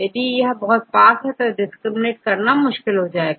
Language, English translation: Hindi, If it is very close then it is difficult